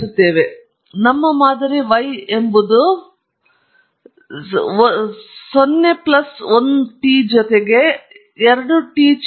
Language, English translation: Kannada, So, our model is y is some a, a 0 plus a 1 t plus a 2 t square